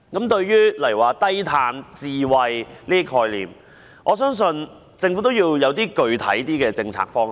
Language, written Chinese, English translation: Cantonese, 對於低碳、智慧這些概念，政府應確立較具體的政策方向。, Regarding such concepts as low - carbon and smart the Government should set specific policy directions